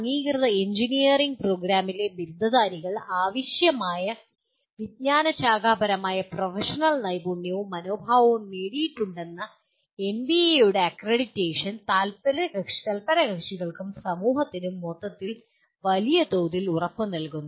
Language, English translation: Malayalam, Accreditation by NBA assures the stakeholders and society at large that graduates of the accredited engineering program have attained the required disciplinary and professional knowledge skills and attitudes